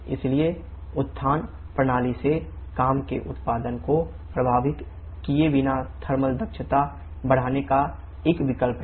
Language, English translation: Hindi, So, regeneration is an option of increasing the thermal efficiency without affecting work output from the system